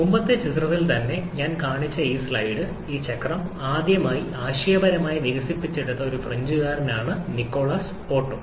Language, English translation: Malayalam, This slide I have shown in the previous picture itself, Nikolaus Otto is a Frenchman who was a first to conceptually develop this cycle